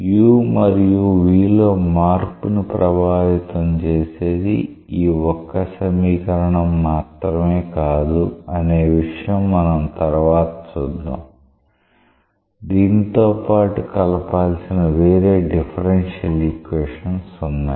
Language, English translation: Telugu, We will later on see that this is not the only equation that governs the change in u and v; there are other differential equations which need to be coupled